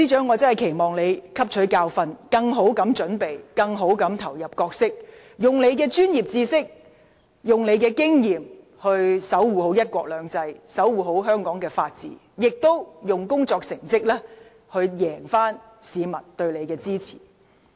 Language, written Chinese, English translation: Cantonese, 我真的期望司長汲取教訓，以更好的準備投入角色，利用她的專業知識和經驗，守護"一國兩制"及香港的法治，以工作成績贏回市民的支持。, I really look forward to seeing that the Secretary for Justice will learn a lesson so as to be better prepared for her role . With her professional knowledge and experience she should safeguard the principle of one country two systems and Hong Kongs rule of law so as to win back public support with her work performance